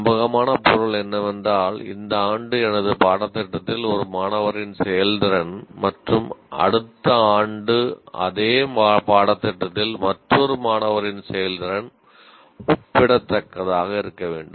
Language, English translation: Tamil, Reliable means the performance of a student in my course this year and the performance of the same course next year by another student are comparable